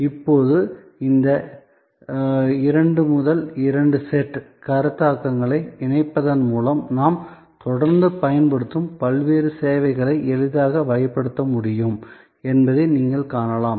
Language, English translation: Tamil, Now, combining these 2 by 2 sets of concepts, you can see that we can easily classify different services that we are regularly using